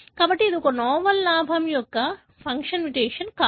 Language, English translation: Telugu, So, it cannot be a novel gain of function mutation